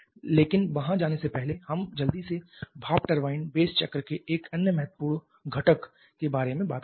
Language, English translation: Hindi, Let us quickly talk about another important component of the steam turbine base cycle